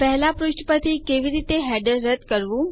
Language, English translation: Gujarati, How to remove headers from the first page